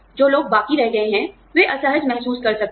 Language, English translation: Hindi, The people, who are left behind, may feel uncomfortable